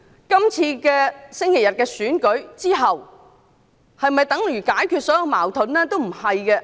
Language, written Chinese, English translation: Cantonese, 本周日的選舉之後，是否等於解決所有矛盾？, Will all disputes be resolved after the Election held this Sunday?